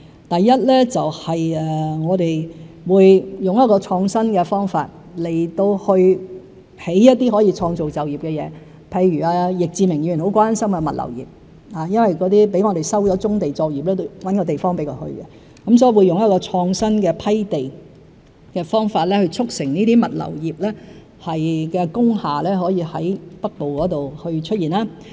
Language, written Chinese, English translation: Cantonese, 第一，我們會以創新方法興建一些可以創造就業的設施，譬如易志明議員很關心的物流業，有些被我們收了棕地作業，要另覓地方安置，所以我們會用創新的批地方法，促成物流業的工廈在北部出現。, Let me take the logistics industry which is greatly concerned by Mr YICK as an example . After the resumption of brownfield sites we have to identify alternative sites for reprovisioning their affected operations . We will adopt an innovative approach on land grant to facilitate the construction of industrial buildings in the Northern Metropolis for use by the logistics industry